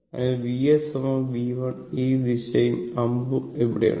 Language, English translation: Malayalam, Therefore, V s equal to V 1 this direction and arrow is here